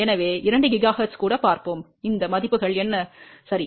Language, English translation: Tamil, So, let us see even at 2 gigahertz, what are these values ok